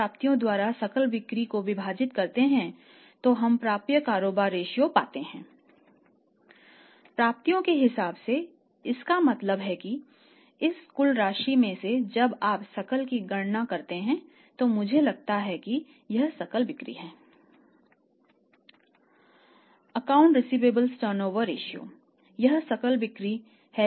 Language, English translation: Hindi, By accounts receivables so it means in this part out of this total amount when you calculate gross is where I think is the gross sales